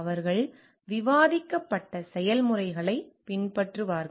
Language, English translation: Tamil, They will follow the processes as discussed